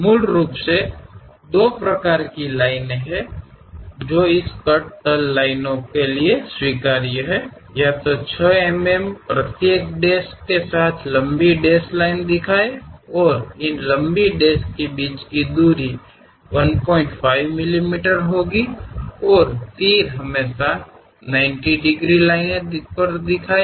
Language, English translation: Hindi, There are basically two types of lines are acceptable for this cut plane lines; either by showing a long dashed lines with each dash of 6 mm and the gap between these long dashes will be 1